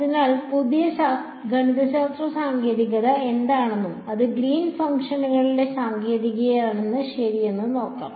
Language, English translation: Malayalam, So, let us go in to see what that the new mathematical technique is and that is the technique of greens functions ok